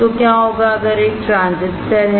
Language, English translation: Hindi, So, what if there is a transistor